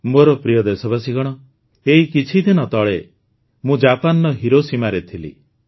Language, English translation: Odia, My dear countrymen, just a few days ago I was in Hiroshima, Japan